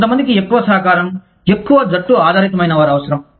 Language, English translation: Telugu, Some people need, are more co operative, more team oriented